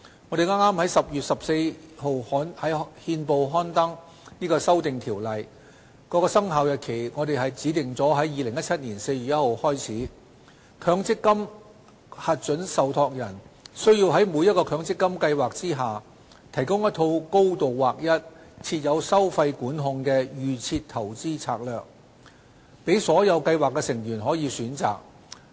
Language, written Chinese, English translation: Cantonese, 我們剛於10月14日在憲報刊登《修訂條例》的《生效日期公告》，指定在2017年4月1日起，強積金核准受託人須在每個強積金計劃下，提供一套高度劃一、設有收費管控的"預設投資策略"，供所有計劃成員選擇。, The Government gazetted the Commencement Notice of the Amendment Ordinance on 14 October which specified that from 1 April 2017 onwards each MPF approved trustee must provide a highly standardized and fee - controlled DIS in each MPF scheme as an option for all scheme members